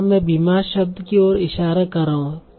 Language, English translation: Hindi, So I'm pointing here to the word sick